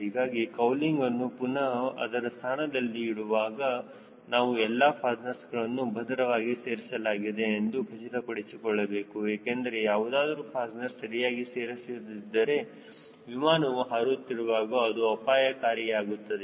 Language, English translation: Kannada, so while putting the cowling in place back end place we need to be very sure that all the fasteners are properly secured because in case if some fastener opens during flight then it may be dangerous